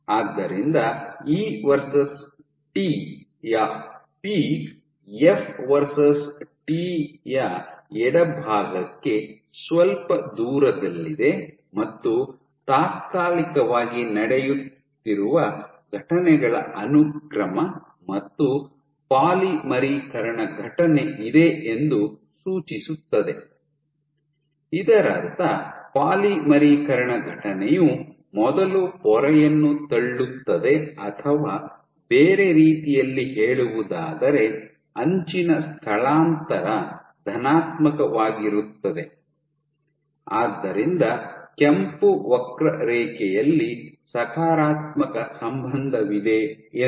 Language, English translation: Kannada, So, peak of E versus T is slightly to the left of F versus T suggesting that if I want to imagine the sequence of events that are happening temporally there is a polymerization event, which would mean as turn over that polymerization event is first pushing the membrane or in other words edge displacement is positive, you have this positive correlation in the red curve